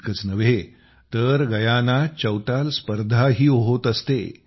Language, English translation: Marathi, Not only this, Chautal Competitions are also held in Guyana